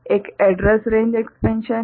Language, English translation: Hindi, One is the address range expansion